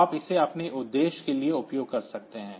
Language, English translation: Hindi, So, you can use it for your own purpose